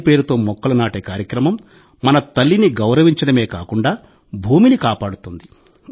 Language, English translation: Telugu, The campaign to plant trees in the name of mother will not only honor our mother, but will also protect Mother Earth